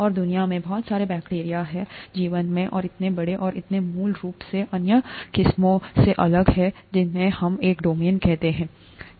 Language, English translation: Hindi, And there are so many different bacteria in the world, in life and so large that and so fundamentally different from other varieties that we call that a domain